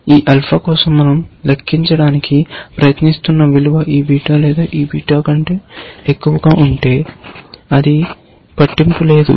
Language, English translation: Telugu, If the value that we are trying to compute for this alpha becomes higher than this beta or this beta, it does not matter